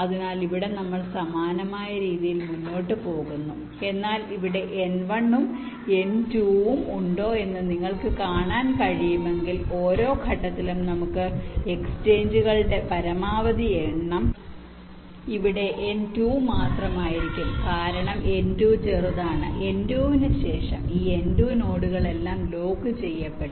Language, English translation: Malayalam, but if you can see, if we had n one and n two here, for at every step the maximum number of exchanges that we can have, maximum exchanges, can only be n two here, because n two is smaller after n two